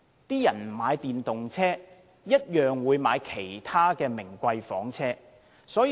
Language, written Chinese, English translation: Cantonese, 市民不買電動車，也會買其他名貴房車。, Even if the public do not buy electric cars they will buy other luxurious cars